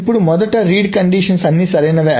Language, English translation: Telugu, Now, first of all, the read conditions are all correct